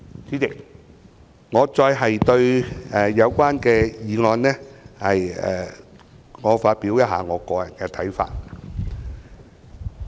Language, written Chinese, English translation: Cantonese, 主席，我想就《條例草案》發表一些個人看法。, President I now would like to express my personal views on the Bill